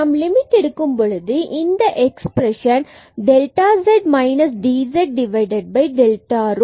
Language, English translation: Tamil, So, we will get this dz term as 0, and then this limit delta z over dz over delta rho